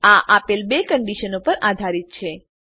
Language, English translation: Gujarati, These are based on the two given conditions